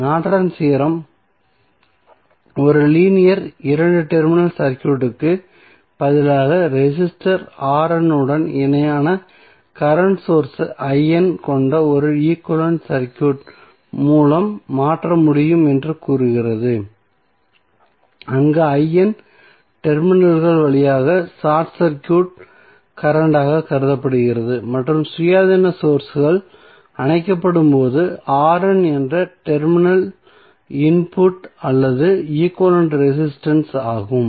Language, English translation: Tamil, So, Norton's Theorem says that a linear two terminal circuit can be replaced by an equivalent circuit consisting of a current source I N in parallel with resistor R N where I N is consider to be a short circuit current through the terminals and R N is the input or equivalent resistance at the terminals when the independent sources are turned off